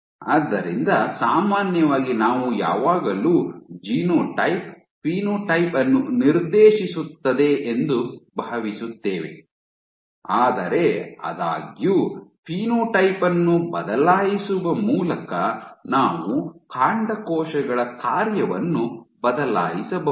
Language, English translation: Kannada, So, typically we always think that genotype dictates phenotype, but; however, is it possible that by changing the phenotype you can alter the function of stem cells